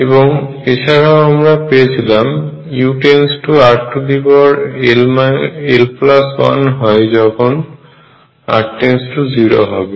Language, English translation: Bengali, And found that u goes to r raise to l plus 1 as r tends to 0